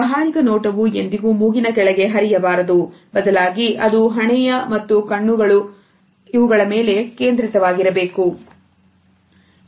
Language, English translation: Kannada, So, the business case should never go beneath the nose and it should be focused on the forehead and eyes